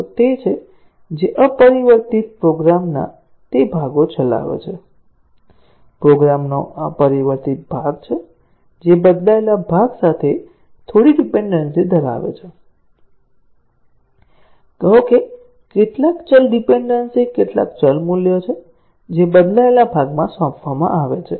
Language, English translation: Gujarati, The regression test cases are those, which execute those parts of the unchanged program, unchanged part of the program, which have some dependency with the changed part; say, are some variable dependence some variable values that are assigned in the changed part and so on